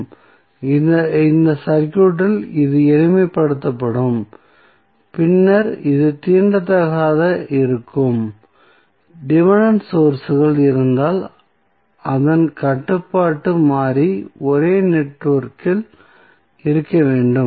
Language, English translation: Tamil, So, in this circuit, this would be simplified, then this would be untouched, if there are dependent sources, it is controlling variable must be in the same network